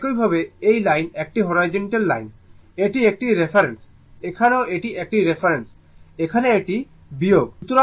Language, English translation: Bengali, So, similarly and this line is a horizontal line is a reference, here also it is reference, here it is subtraction, right